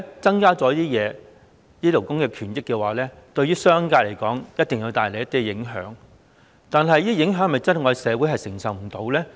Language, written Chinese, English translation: Cantonese, 代理主席，勞工權益的改善無疑對商界有一定影響，但這些影響是否社會真的承受不了？, Deputy Chairman the improvement of labour rights and interests will undoubtedly have some impacts on the commercial sector but are such impacts really unbearable in society?